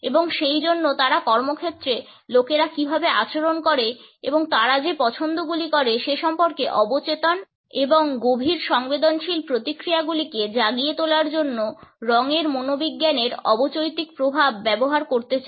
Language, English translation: Bengali, And therefore, they want to use the subliminal effect of color psychology to trigger subconscious and deeply rooted emotional responses in how people think behave and make their choices in the workplace